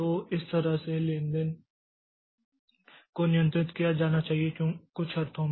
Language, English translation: Hindi, So, that way the transaction has to be controlled that in some sense